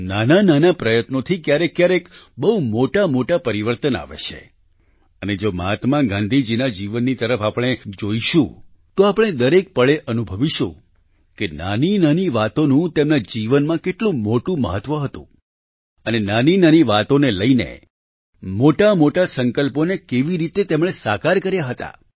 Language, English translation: Gujarati, Through tiny efforts, at times, very significant changes occur, and if we look towards the life of Mahatma Gandhi ji we will find every moment how even small things had so much importance and how using small issues he accomplished big resolutions